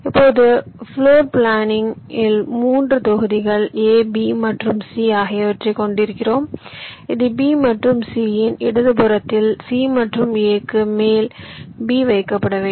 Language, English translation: Tamil, now in floor planning i can say that i have three blocks, a, b and c, which has to be placed like this, b on top of c and a to the left of b and c